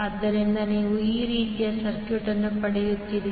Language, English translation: Kannada, So, you will get the circuit like this